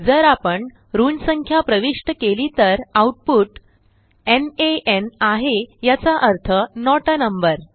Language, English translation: Marathi, If we enter negative number, output is nan it means not a number